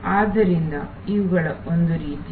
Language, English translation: Kannada, So, these are kind of